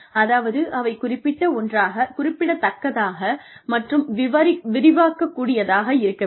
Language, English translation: Tamil, Which means, they should be specific, significant, and stretching